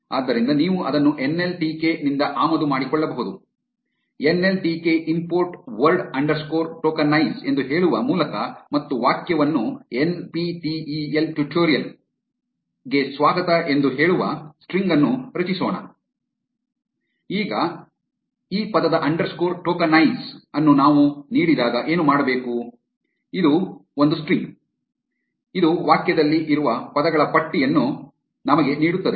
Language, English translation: Kannada, So, you can import it from nltk by saying, from nltk import word underscore tokenize and let us create a string say a sentence is equal to ‘Welcome to NPTEL tutorial’, now what this word underscore tokenize is supposed to do is when we give it a string